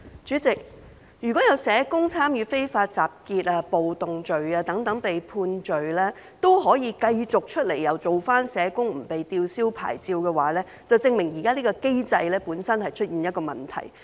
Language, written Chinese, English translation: Cantonese, 主席，如果有社工犯了參與非法集結、暴動等罪行而被判罪，之後仍可繼續當社工、不用被吊銷牌照的話，這便證明現行機制本身出現了問題。, President if a social worker who has been convicted of the offences of participating in unlawful assembly and riots is allowed to continue to work as a social worker without having his registration cancelled it is evident that there is something wrong with the existing mechanism